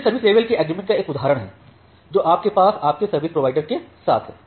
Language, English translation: Hindi, This is one example of service level agreement that you have with your service provider